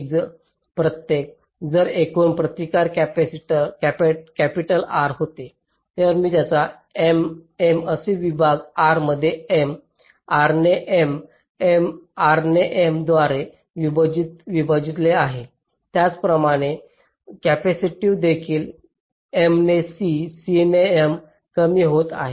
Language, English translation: Marathi, so if the total resistance was capital r, i have divided them into m in m, such segments, r by m, r by m, r by m